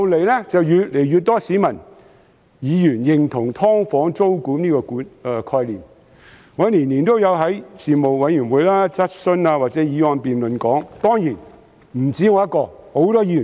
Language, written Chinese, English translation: Cantonese, 其後，越來越多市民和議員認同"劏房"租管這個概念。我每年都會在事務委員會、質詢或議案辯論中談論此事。, But subsequently more and more people and Members agreed that SDUs should be subject to tenancy control and I continued to advocate this same proposal in Panels questions or motion debates year after year